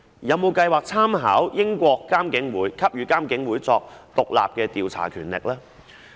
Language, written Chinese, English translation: Cantonese, 有否計劃參考英國的做法，給予監警會進行獨立調查的權力呢？, Does it have plans to draw reference from the practice of the United Kingdom to grant IPCC the power to conduct independent investigations?